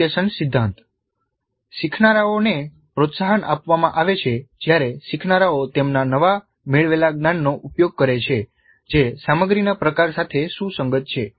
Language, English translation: Gujarati, Learning is promoted when learners engage in application of their newly acquired knowledge that is consistent with the type of content being taught